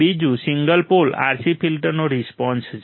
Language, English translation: Gujarati, Second is response of single pole RC filter